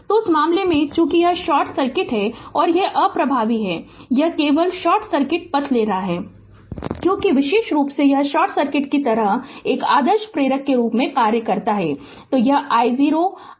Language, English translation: Hindi, So, in that case as it is short circuit this will be ineffective right, it it is just take this short circuit path because particular it it acts like a short circuit as an it an ideally inductor right